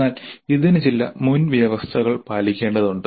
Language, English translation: Malayalam, But this would require that certain prerequisites are made